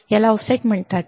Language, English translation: Marathi, This is called the offset